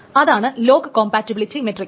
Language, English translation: Malayalam, And then there is a lock compatibility matrix